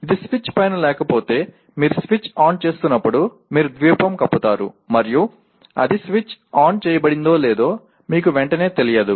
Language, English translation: Telugu, If it is not above the switch, obviously when you are switching on you will be covering the lamp and you would not immediately know whether it is switched on or not